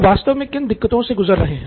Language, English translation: Hindi, What exactly are people going through